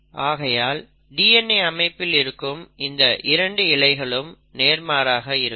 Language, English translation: Tamil, The second thing is that the 2 strands of DNA are antiparallel